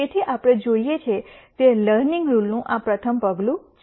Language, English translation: Gujarati, So, this is a rst step of the learning rule that we see